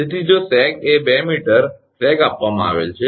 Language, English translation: Gujarati, So, if the sag is 2 meter sag is given